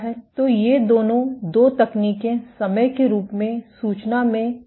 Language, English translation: Hindi, So, both these two techniques will provide this in information in the form of time